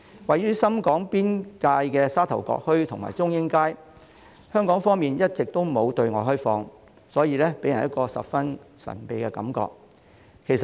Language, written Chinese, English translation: Cantonese, 位於深港邊界的沙頭角墟和中英街，香港方面一直都沒有對外開放，所以給人十分神秘的感覺。, Located along the boundary of Shenzhen and Hong Kong Sha Tau Kok Town and Chung Ying Street on the Hong Kong side are not open up to the public and people find them very mysterious